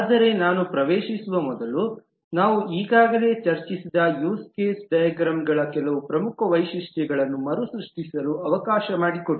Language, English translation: Kannada, But before I get into that, let me also recapitulate some of the major features of the use case diagrams that we have already discussed